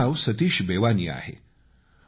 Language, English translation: Marathi, My name is Satish Bewani